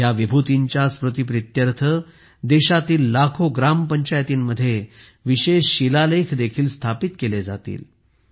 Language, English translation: Marathi, In the memory of these luminaries, special inscriptions will also be installed in lakhs of village panchayats of the country